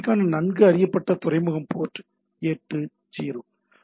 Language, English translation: Tamil, The well known port for the HTTP is port 80, right